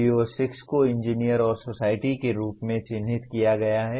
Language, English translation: Hindi, Now, PO6 is labeled as Engineer and Society